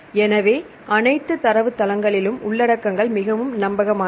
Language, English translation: Tamil, So, in all the databases, the contents are very reliable